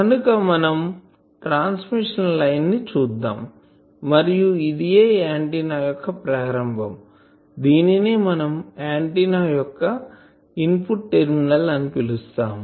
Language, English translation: Telugu, Whereas, this will let us see that this is a transmission line and this is the start of the antenna, this also we called input terminals of the antenna; input terminals of the antenna